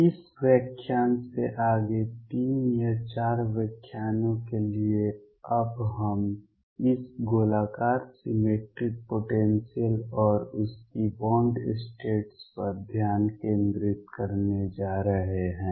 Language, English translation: Hindi, From this lecture onward for 3 or 4 lectures we are now going to concentrate on this Spherically Symmetric Potentials and their bound states